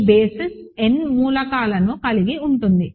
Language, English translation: Telugu, This basis has n elements